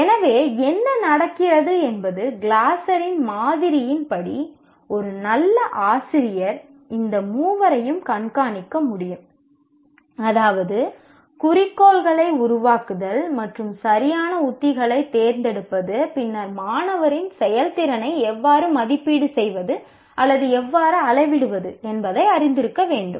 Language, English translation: Tamil, So what happens is a good teacher as per Glacers model should be able to master these three, namely formulation of objectives and selecting a proper strategy and then must know how to evaluate or how to measure the performance of the student